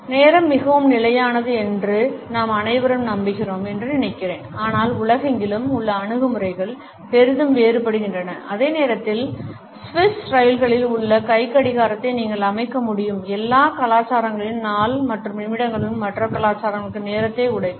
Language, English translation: Tamil, I guess we all believe that time is pretty constant, but around the world attitudes to it differ greatly, while you can set your watch by Swiss trains not all cultures break the day down into minutes and seconds for other cultures punctuality is a very different matter